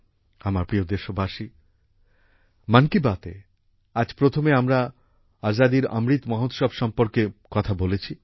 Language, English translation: Bengali, My dear countrymen, in the beginning of 'Mann Ki Baat', today, we referred to the Azadi ka Amrit Mahotsav